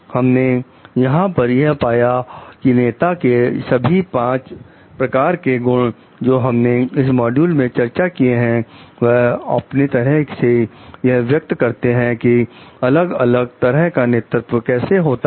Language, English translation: Hindi, And what we find over here like the all the five qualities of the leaders that we have discussed in this module show an expression in its own way in these different types of leadership